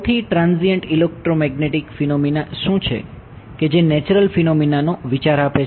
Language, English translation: Gujarati, What is the most transient electromagnetic phenomena that you can think of natural phenomena